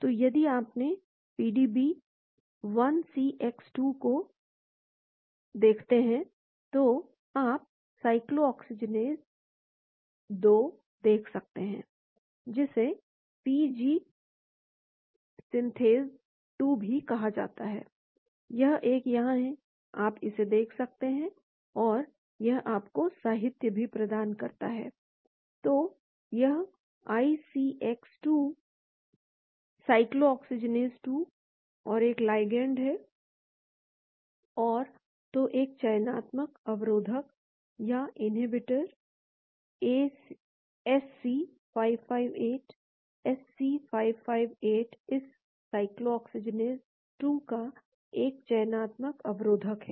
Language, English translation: Hindi, So, if you look at your pdb, 1cx2; you can see cyclooxygenase 2, which is also called PG synthase 2, this is one it is there, you can see this and it gives you the literature as well, then so this 1cx2, cyclooxygenase2, and there is a ligand and , so a selective inhibitor; SC 558; SC 558 is a selective inhibitor of this cyclooxygenase 2,